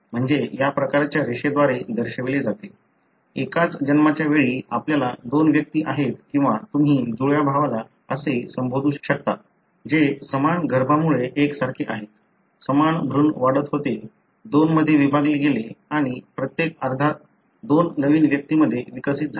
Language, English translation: Marathi, So that is denoted by this kind of line, suggesting at the same birth you have two individuals or it could be what you call as twin brother that are identical resulting from the same embryo; the same embryo was growing, split into two and each half has developed into two new individuals